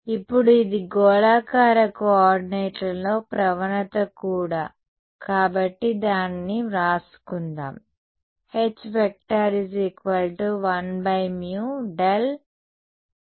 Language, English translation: Telugu, Now, also this is the gradient in spherical coordinates right so, let us write that down